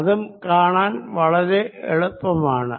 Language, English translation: Malayalam, that is also very easy to see